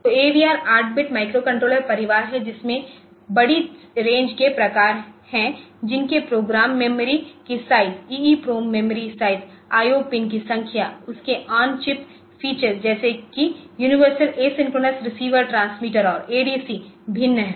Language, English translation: Hindi, So, AVR is a family of 8 bit microcontrollers with large range of variants differing in size of the program memory size of the EEPROM memory number of I O pins then number of on chip features such as user tend a either the universal a synchronous receiver transmitter and the adc